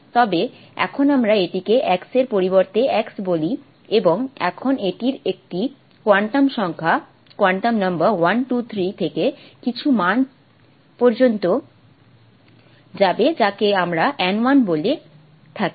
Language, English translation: Bengali, It's similar to the si of x that we wrote except that now we call it x of x and now this will have a quantum number going from 1, 2, 3 to some value which we call us n1